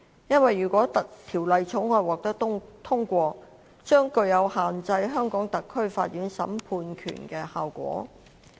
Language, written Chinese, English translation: Cantonese, 原因是《條例草案》如果獲得通過，將具有限制香港特區法院審判權的效果。, The reason is that the Bill if passed would have the effect of restricting the jurisdiction of the courts of HKSAR